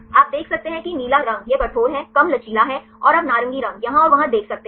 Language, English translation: Hindi, You can see the blue colors this is rigid right, there is less flexible and you can see the orange ones here and there right here